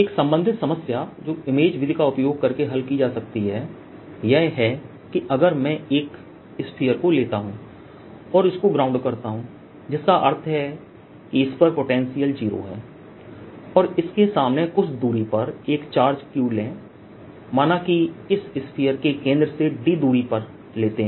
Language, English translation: Hindi, a related problem that can be solved using image method is if i take a sphere say metal is sphere and ground it, that the potential on this is zero, and take a charge q in front of this, at a distance, let's say d, from the centre of this sphere, it so happens that in this case also i can find another charge outside the region of interest